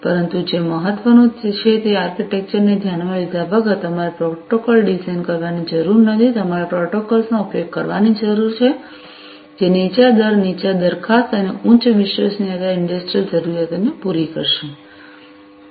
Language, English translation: Gujarati, But, what is important is irrespective of the architecture, you need to design protocols, you need to use the protocols, which will cater to the industrial requirements of low rate latency, low jitter, and high reliability